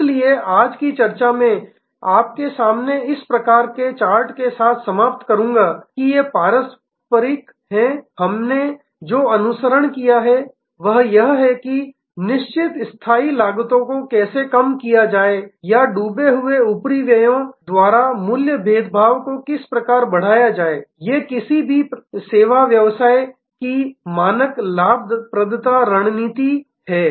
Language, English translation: Hindi, So, I will end today’s discussion by with this kind of chart in front of you, that these are traditional, what we have followed, that how to lower fixed costs or sunk overhead raise price differentiation etc, these are the standard profitability tactics of any service business